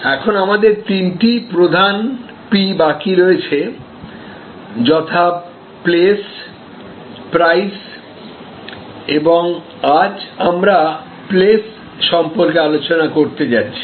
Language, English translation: Bengali, Now, we have three major P’s left, namely Place, Price and today we are going to discuss about this P called Place